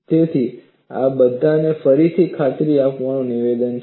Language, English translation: Gujarati, So, these are all re convincing statements